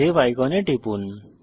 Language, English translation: Bengali, Click on the Save icon